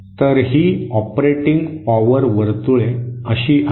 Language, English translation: Marathi, So these operating power circles are like this